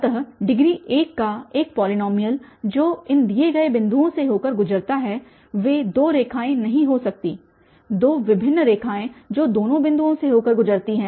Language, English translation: Hindi, So, a polynomial of degree 1 which passes through these given two points they cannot be two lines, two different lines which passes through both the points